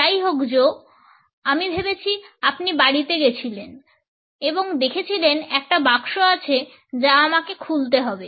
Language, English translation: Bengali, Joe well I guess Joe you went home and look there is still one box that I have to unpack